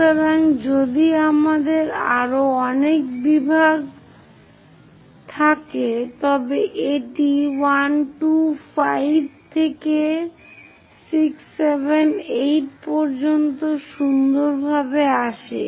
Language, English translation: Bengali, So, if we have many more divisions it comes nicely 1, 2, 5 all the way to 6, 7, 8